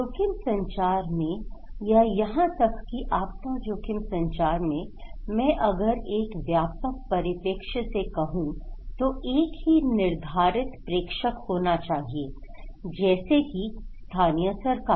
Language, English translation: Hindi, So, one in risk communication or in even in disaster risk communications, I am talking in a more, broader perspective, there should be one sender like local government okay